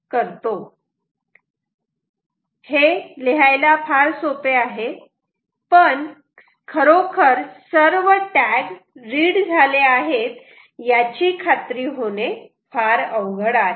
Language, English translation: Marathi, its very easy to write this, but difficult to ensure that all tags are actually read right